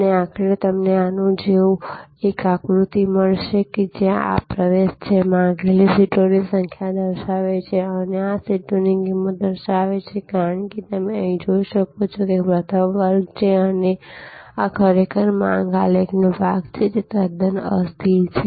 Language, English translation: Gujarati, And ultimately you will get a diagram of like this, where this is the access, which shows number of seats demanded and this shows price for seats as you can see here is the first class and this is actually the part of the demand graph, which is quite inelastic